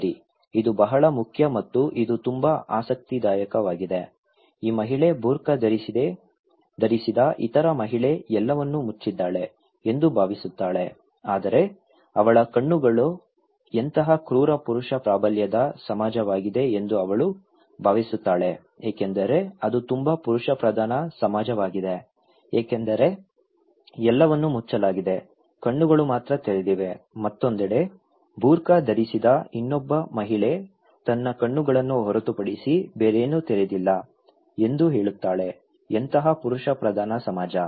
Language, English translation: Kannada, Well, this is very important and this is very interesting that this lady thinks that other lady wearing a burka is everything covered but her eyes are what a cruel male dominated society okay she thinks that itís a very male dominated society because everything is covered only eyes are open, on the other hand, that other lady with burka is saying that nothing covered but her eyes are open so, what a male dominated society